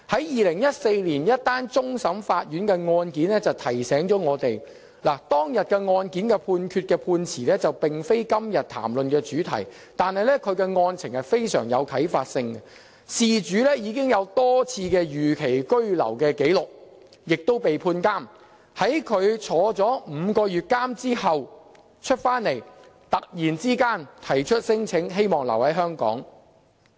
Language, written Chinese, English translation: Cantonese, 2014年一宗終審法院案件提醒了我們，雖然當日案件的判詞並非今天談論的主題，但其案情非常具啟發性，事主已有多次逾期居留紀錄並被判監禁，在他被監禁5個月出來後，突然提出聲請，希望留在香港。, Though the judgment of the case at that time is not the subject of our current discussion it demonstrates the effect on our present situation . The person concerned was sentenced many times for imprisonment for overstaying in Hong Kong . Upon his release after a five - month imprisonment he suddenly lodged a claim seeking to stay in Hong Kong